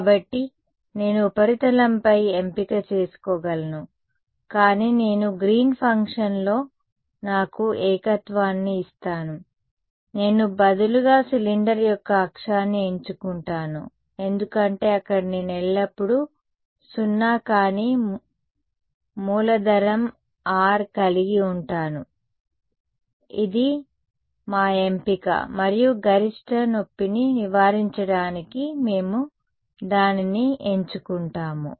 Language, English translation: Telugu, So, I could have chosen on the surface, but that would I given me a singularity in Green’s function, I choose instead the axis of the cylinder because there I will always a have non zero capital R; it is our choice and we choose it in a way that we get to avoid maximum pain fine ok